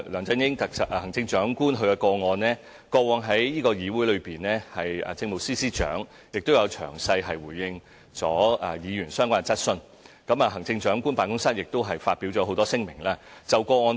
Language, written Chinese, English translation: Cantonese, 至於行政長官的個案，政務司司長過往在議會亦曾詳細回應議員的相關質詢，行政長官辦公室亦多次發表聲明。, With regard to the incident involving the Chief Executive the Chief Secretary for Administration did respond to relevant questions from Members in detail in the Council before and the Office of the Chief Executive also issued numerous statement in this respect before